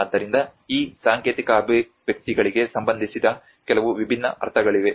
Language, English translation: Kannada, So, like that there are some different meanings associated to these symbolic expressions